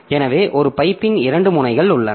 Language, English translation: Tamil, So, there are two ends of a pipe